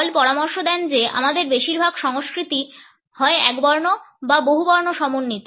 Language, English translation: Bengali, Hall suggest that most of our cultures are either monochronic or polychromic